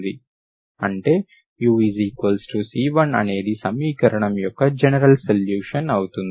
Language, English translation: Telugu, That means u is equal to constant is by general solution of the equation